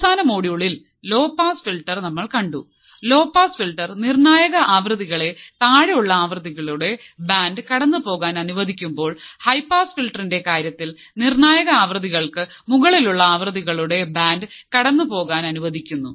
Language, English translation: Malayalam, In the last module, we have seen low pass filter; that means, the frequency below critical frequencies were allowed to pass right, band frequencies below for critical frequencies were allowed to pass while in case of high pass filter the band of frequencies above critical frequencies are allowed to pass